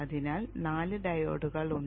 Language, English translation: Malayalam, It is having four diodes within it